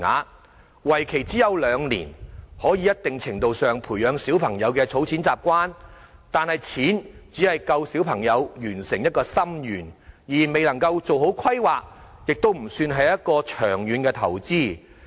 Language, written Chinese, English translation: Cantonese, 由於為期只有兩年，雖然可以在一定程度上培養小朋友的儲蓄習慣，但金額只足夠小朋友完成一個心願，而未能夠做好規劃，亦不算是長遠投資。, Given its duration of only two years while it may help children develop a habit of keeping savings in some measure children are only able to make one wish come true with such an amount but unable to do proper planning and it cannot be seen as a long - term investment either